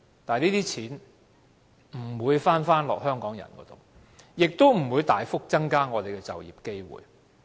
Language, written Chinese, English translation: Cantonese, 但是，這些錢不會回到香港人的口袋，亦不會大幅增加我們的就業機會。, Nonetheless the money will not plough back to benefit Hong Kong people and our employment opportunities will not be significantly increased